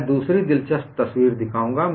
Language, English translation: Hindi, I will show another interesting picture